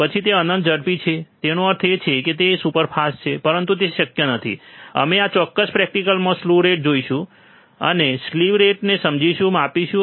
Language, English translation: Gujarati, then we have infinitely fast; that means, that it is superfast, but it is not possible, we will see slew rate in this particular experiment, and we will understand and measure the slew rate